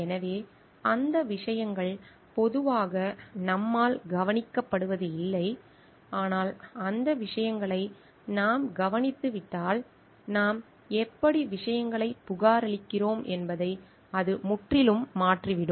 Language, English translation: Tamil, So, those things are generally not noticed by us, but also if we take care of those things, it can completely change how we are reporting things